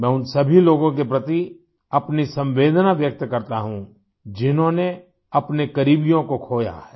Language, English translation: Hindi, My heart goes out to all the people who've lost their near and dear ones